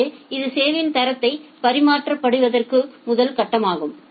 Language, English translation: Tamil, So, that is the first phase of maintaining quality of service